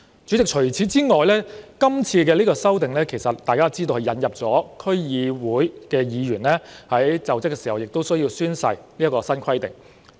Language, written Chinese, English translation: Cantonese, 主席，除此之外，大家也知道，這次修例亦引入區議員在就職時須宣誓的新規定。, President apart from this as Members may be aware the present legislative amendment exercise introduces the new requirement for members of the District Councils DC to take oath when assuming office